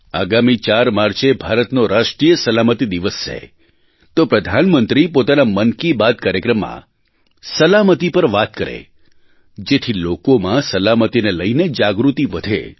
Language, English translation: Gujarati, Since the 4th of March is National Safety Day, the Prime Minister should include safety in the Mann Ki Baat programme in order to raise awareness on safety